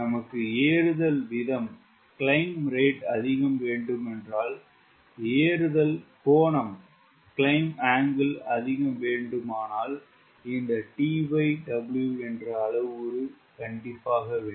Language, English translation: Tamil, if we want climb rate to be higher, if you want climb angle to be higher, this t by w with a design parameter you need to have